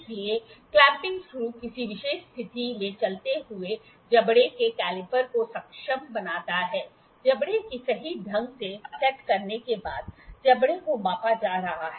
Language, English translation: Hindi, So, as the clamping screw enables the caliper of the movable jaw in a particular position after the jaws have been set accurately over the jaw being measured